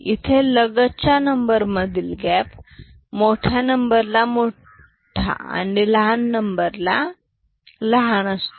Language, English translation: Marathi, Here the gap between consecutive numbers is high for larger numbers and small for smaller numbers